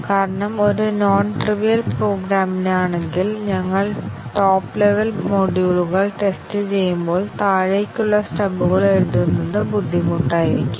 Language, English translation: Malayalam, Because if for a non trivial program, when we are testing the top level modules, writing stubs for those way down would be difficult